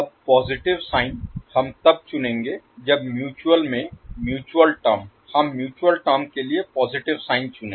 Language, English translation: Hindi, Now the positive sign we will select when mutual term in both the mutual the positive sign we select for the mutual term